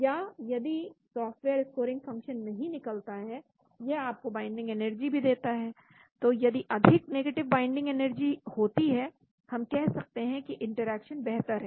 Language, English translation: Hindi, Or if the software does not produce scoring function, it also gives you the binding energy, so more negative is the binding energy, we can say better is the interaction